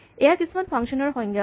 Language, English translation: Assamese, So there are some function definitions